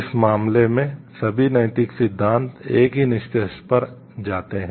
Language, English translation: Hindi, In all this case, all of the ethical theories lead to the same conclusion